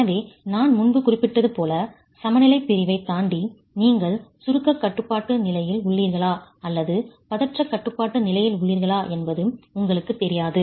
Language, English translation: Tamil, So, since as I mentioned earlier, in the balance section, beyond the balance section, you really do not know a priori whether you are in the compression control state or the tension control state